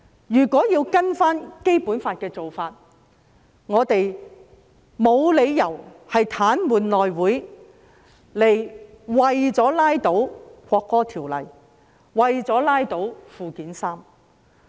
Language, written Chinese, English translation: Cantonese, 依循《基本法》，我們沒有理由癱瘓內務委員會，以拉倒《國歌條例草案》和《基本法》附件三。, Pursuant to the Basic Law we have no reason to paralyse the House Committee in order to block the National Anthem Bill and Annex III to the Basic Law What is meant by one country two systems